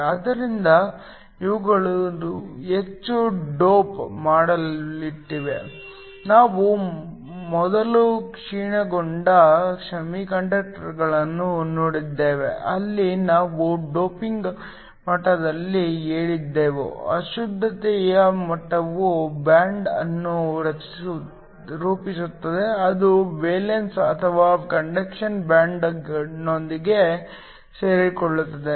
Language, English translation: Kannada, So, These are heavily doped we saw degenerate semiconductors earlier, where we said at the doping level was so high that the impurity levels form a band which can combine with valence or the conduction band